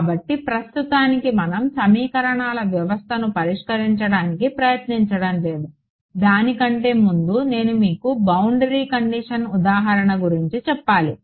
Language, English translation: Telugu, So, in right now we would not go into actually solving the system of equations, because I want to tell you a little bit give you give you an example of a boundary condition